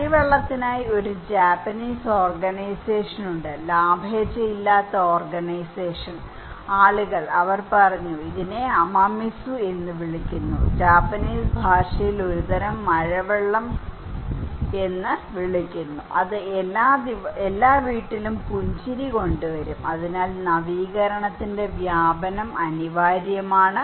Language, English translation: Malayalam, There is a Japanese organization, non profit organization people for rainwater, they said okay, this is called Amamizu, in Japanese is called a kind of rainwater that will bring smile to every home therefore, diffusion of innovation is inevitable